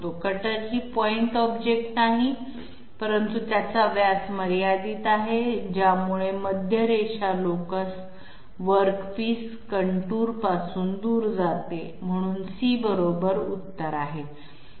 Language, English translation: Marathi, The cutter is not a point object, but it has a finite diameter so that makes the centre line locus move away from the work piece Contour, so C is correct